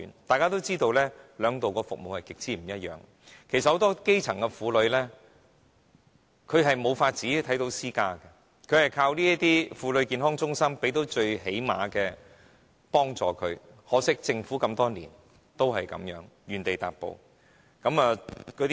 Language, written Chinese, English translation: Cantonese, 大家也知道，兩者的服務極不相同，其實很多基層婦女無能力看私家醫生，她們只能依靠這些婦女健康中心提供最低限度的幫助，可惜，這麼多年來政府仍是原地踏步。, But as we all know their services are vastly different . In fact many grass - roots women who do not have the means to see private doctors can only rely on Woman Health Centres for limited help . Unfortunately no progress has been made over the years